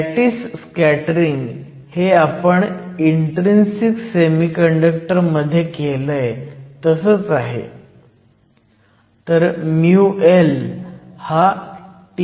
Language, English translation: Marathi, The lattice scattering term is very similar to what we did for intrinsic semiconductors